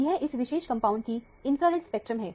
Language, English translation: Hindi, This is the infrared spectrum of this particular compound